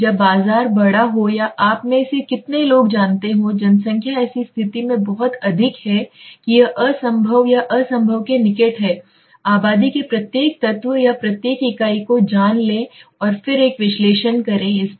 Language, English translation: Hindi, When the market is large or the number of you know people involved in the population is very high in such condition it becomes really impossible or near to impossible to take every element of the or every unit of the you know population and then make a analysis over it